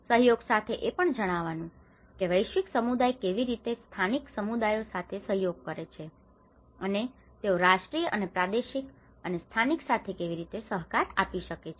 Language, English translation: Gujarati, Collaboration also has to look at how the global community can collaborate with the local communities and how they can cooperate with the national and regional and local